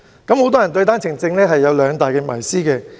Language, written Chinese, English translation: Cantonese, 很多人對單程證有兩大謎思。, Many believe in two major myths about OWP